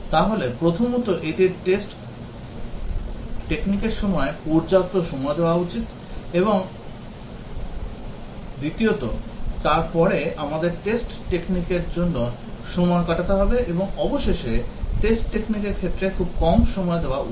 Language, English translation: Bengali, So, it should give enough time for test technique one and then we should spend time on test technique two and finally, much less time on test technique three